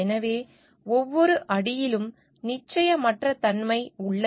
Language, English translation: Tamil, So, uncertainty are there at every step